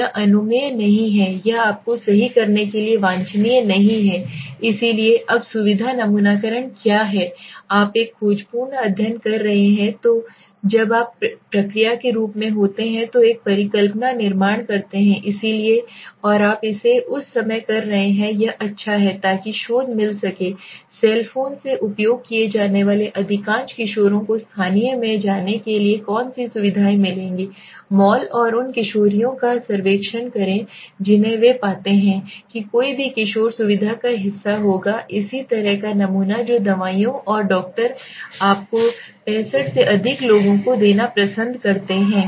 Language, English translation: Hindi, It is not permissible it is not desirable to do you right so what is convenience sampling now when you are doing a exploratory study so when you are in the form of process so building a hypothesis so and you are doing it at that time it is good right so researches could quickly find out what features most teenagers used from the cell phones would go to would be go to the local mall and survey the teens they find so any teen there would be a part of the convenience sampling similarly what brand of medications doctors prefer to prescribe to people over 65 you can find out the researcher can find out visiting a doctor s office and collecting data from willing patients that fit the profile